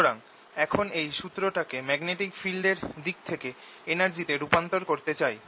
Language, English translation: Bengali, so now what we want to do is convert this formula into energy in terms of magnetic field